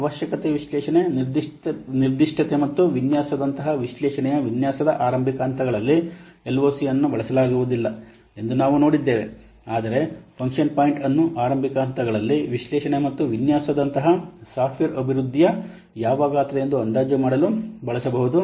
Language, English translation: Kannada, We have seen that LOC by LOC approach cannot be used in the early stages of analysis design such as requirement analysis specification and design, whereas function point can be used, can be used to estimate the what size in early stages of software development such as analysis and design